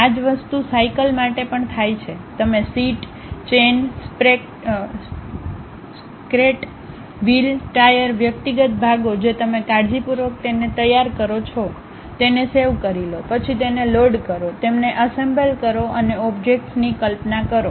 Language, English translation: Gujarati, Similar thing happens even for cycle, you prepare something like a seat, chain, sprocket, wheel, tire, individual parts you carefully prepare it, save them, then load them, assemble them and visualize the objects